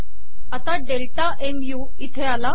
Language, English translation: Marathi, Now delta mu has come there